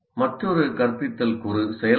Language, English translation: Tamil, Now another instructional component we call it activating